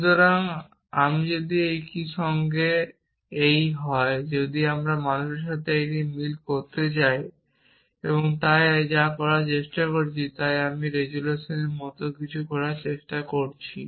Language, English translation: Bengali, So, if I am this with a if I want to match this with man, so what I am trying to do I am trying to do something like resolution